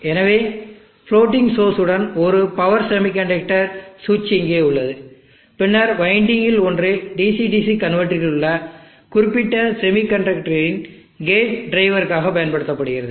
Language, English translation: Tamil, So let us there is one power semiconductor switch here with floating source then one of the windings will be use for gate drive of this particular semiconductor switch in the DC main DC DC converter